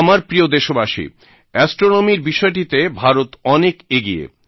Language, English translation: Bengali, My dear countrymen, India is quite advanced in the field of astronomy, and we have taken pathbreaking initiatives in this field